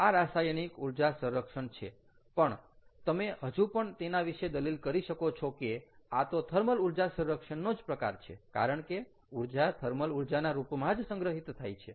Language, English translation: Gujarati, this is completely chemical energy storage and in some way you can even argue that this is thermal energy storage, because the the form in which the energy is stored or released is again heat